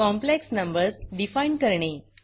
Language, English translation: Marathi, How to define complex numbers